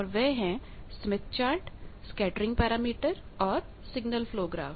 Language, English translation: Hindi, And they are; Smith Chart, Scattering Parameter and Signal Flow Graph